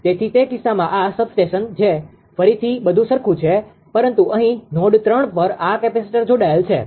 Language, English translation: Gujarati, So, in that case this is substation again everything is same, but here at node 3; that this capacitor is connected